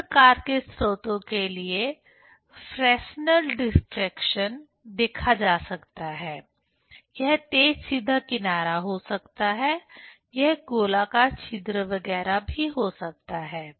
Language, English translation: Hindi, Fresnel diffraction can be seen for other type of sources: it may be sharp straight edge, it may be circular aperture etcetera